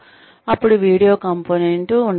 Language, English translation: Telugu, Then there could be a video component